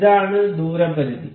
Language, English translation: Malayalam, So, this is distance limit